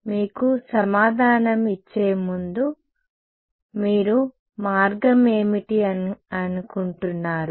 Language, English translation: Telugu, So, before giving you the answer what do you think is the way